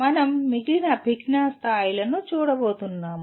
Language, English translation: Telugu, We are going to look at the remaining cognitive levels